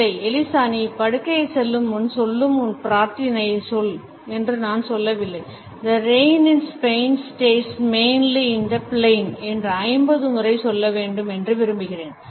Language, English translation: Tamil, No Eliza you did not say that you did not even say that the ever night before you get in the bed where you use to say your prayers, I want you to say the rain in Spain stays mainly in the plane 50 times ok